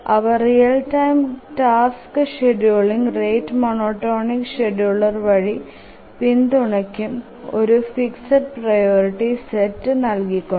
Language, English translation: Malayalam, They support real time tasks scheduling through the rate monotonic scheduler by providing a fixed set of priorities